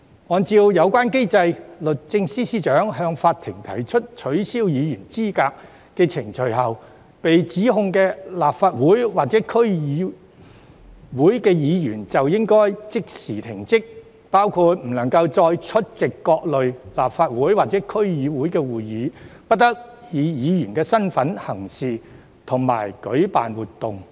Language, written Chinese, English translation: Cantonese, 按照有關機制，律政司司長向法庭提出取消議員資格的法律程序後，被起訴的立法會議員或區議員須即時停職，其間不得再出席各類立法會或區議會會議，亦不得以議員身份行事及舉辦活動等。, According to the relevant mechanism after SJ brings legal proceedings to disqualify a Member of the Legislative Council or DC the member will be suspended from office immediately . During suspension the member shall not attend any Legislative Council or DC meetings act or organize events as a member